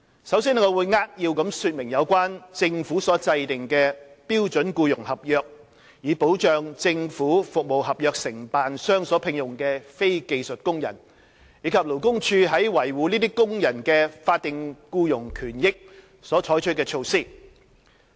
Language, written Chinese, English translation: Cantonese, 首先，我會扼要說明政府所制訂的標準僱傭合約，以保障政府服務合約承辦商所聘用的非技術工人，以及勞工處在維護這些工人的法定僱傭權益所採取的措施。, Before all else I would like to explain briefly the Standard Employment Contract SEC devised by the Government for protecting non - skilled workers employed by government service contractors as well as the measures adopted by the Labour Department LD for safeguarding the statutory entitlements of these workers